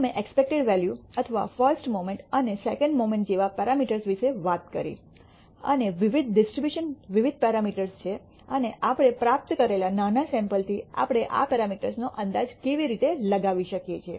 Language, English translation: Gujarati, We did talk about parameters such as the expected value or the rst moment and the second moment and so on, and different distributions are different number of parameters and how do we estimate these parameters from a small sample that we obtain